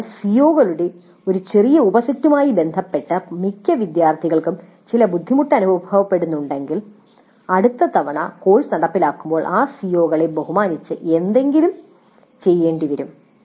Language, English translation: Malayalam, So if most of the students feel certain difficulty with respect to a small subset of COs, then we may have to do something with respect to those COs the next time the course is implemented